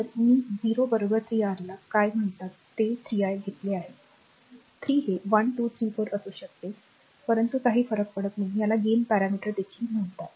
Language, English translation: Marathi, So, i 0 equal 3 your what you call this 3 i have taken 3 it may be 1 2 3 4 it does not matter this is also called gain parameter